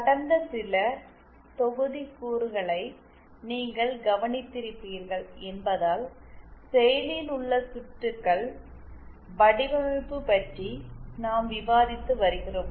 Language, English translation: Tamil, As you must be must have noted for the past few modules we have been discussing about active circuit design